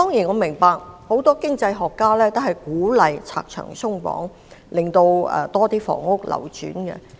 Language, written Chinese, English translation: Cantonese, 我明白很多經濟學家均鼓勵拆牆鬆綁，讓更多房屋流轉。, I understand that many economists have encouraged the removal of obstacles and barriers in the hope of facilitating the turnover of housing units